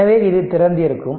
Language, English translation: Tamil, So, this is open